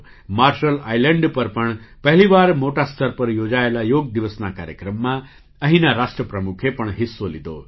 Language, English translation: Gujarati, The President of Marshall Islands also participated in the Yoga Day program organized there on a large scale for the first time